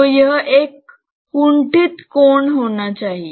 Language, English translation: Hindi, So, it must be an obtuse angle